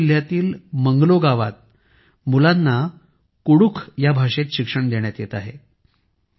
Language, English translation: Marathi, Children are being imparted education in Kudukh language in Manglo village of Garhwa district